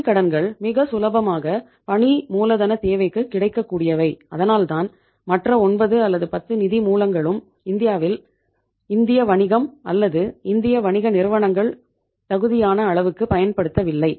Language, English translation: Tamil, And it is because of the easy availability of the bank loan to the businesses for fulfilling their working capital requirements that the other 9, 10 sources have not been say utilized by the Indian business or the Indian business firms to that extent to which it deserves